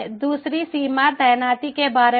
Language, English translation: Hindi, second limitation is about deployment